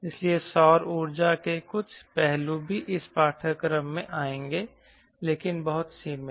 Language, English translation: Hindi, so so some aspects of solar power also will come in this course